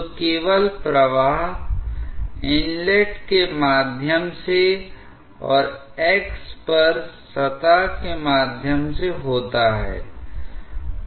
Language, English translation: Hindi, So, only flow is through the inlet and through the surface at x